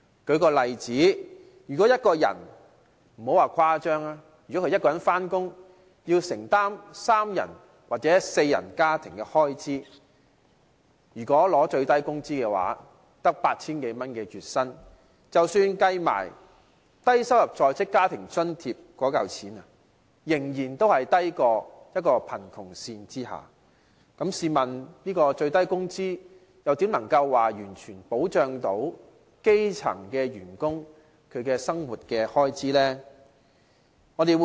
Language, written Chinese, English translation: Cantonese, 舉例來說，如果一個人工作要承擔三人或四人家庭的開支，領取最低工資月薪只有 8,000 多元，即使把低收入在職家庭津貼計算在內，仍處於貧窮線之下，試問最低工資怎能完全保障基層員工的生活開支？, For instance if a person earning the minimum monthly wage of some 8,000 has to bear the expenses of a three - person or four - person family even if the Low - income Working Family Allowance is counted in he still lives under the poverty line . So how can the minimum wage fully cover the living expenses of grass - roots workers? . Reviewing history the fight for a minimum wage has been a tough process